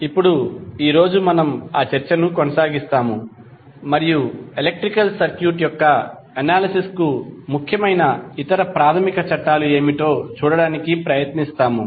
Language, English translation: Telugu, Now today we will continue our that discussion and try to see what are other basic laws which are important for the analysis of electrical circuit